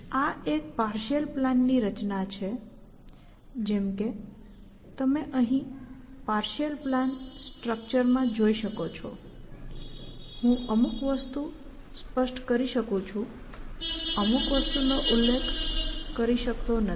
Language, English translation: Gujarati, So, this is a structure of a partial plan; as you can see in this partial plan structure, I may specify something; I may not specify other things